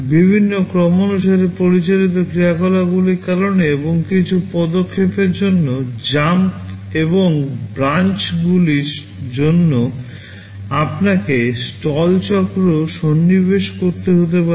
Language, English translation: Bengali, Because of various sequence of operations that are being carried out, and some instructions like jumps and branches you may have to insert stall cycles